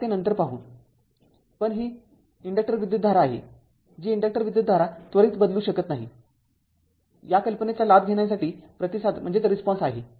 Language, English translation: Marathi, So, we will see later so but this is that inductor current your what you call as the response in order to take advantage of the idea that, the inductor current cannot change instantaneously right